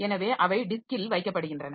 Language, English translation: Tamil, So, they are kept in the disk